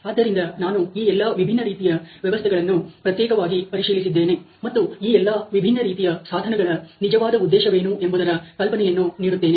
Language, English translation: Kannada, So, I am going to look into the individual aspects of all these different systems and give you an idea of what really the purpose of all these different tools are